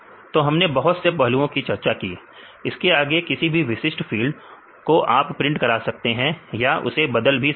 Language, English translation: Hindi, So, we discussed various aspects; further you can do the printing of any specific fields or you can replace the files